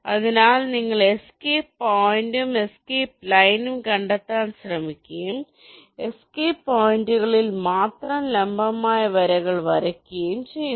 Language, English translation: Malayalam, so you try to find out escape point and escape line and you draw the perpendicular lines only at the escape points